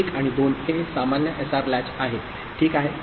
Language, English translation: Marathi, So, 1 and 2 is normal SR latch, ok